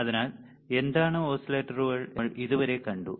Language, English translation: Malayalam, So, until now we have seen what are the oscillators